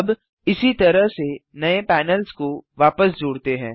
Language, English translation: Hindi, Now, let us merge the new panels back together in the same way